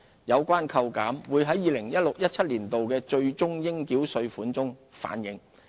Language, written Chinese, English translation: Cantonese, 有關扣減會在 2016-2017 年度的最終應繳稅款反映。, The reduction will be reflected in the final tax payable for 2016 - 2017